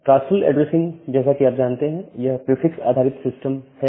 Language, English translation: Hindi, The classful addressing as you know that, it is a prefix based system